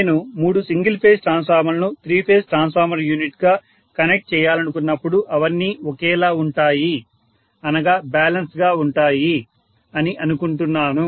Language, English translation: Telugu, All three of them I expect them to be identical when I want to connect three single phase transformers as a three phase transformer unit which is balanced in nature